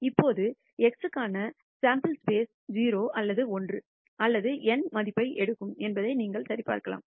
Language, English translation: Tamil, Now the sample space for x, you can verify goes from takes the value 0 or 1 or n